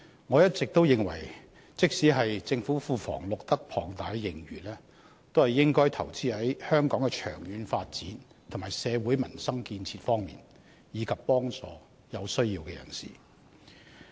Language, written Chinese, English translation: Cantonese, 我一直認為，即使政府庫房錄得龐大盈餘，也應該投資在香港的長遠發展和社會民生建設方面，以及幫助有需要人士。, All along I consider that even if there is a huge surplus in the government coffers the money should be used for investing in the long - term development of Hong Kong and peoples livelihood as well as helping people in need